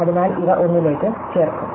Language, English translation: Malayalam, So, these will add up to 1